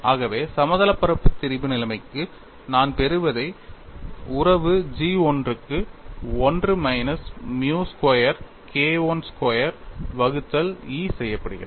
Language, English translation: Tamil, So, if I do that I get for plane strain situation the relation is G 1 equal to 1 minus nu squared K 1 squared by E